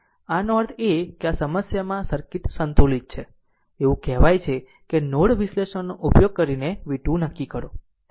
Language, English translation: Gujarati, This means these circuit is balanced in the problem it is said determine v 2 using node analysis